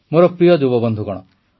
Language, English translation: Odia, My dear young friends,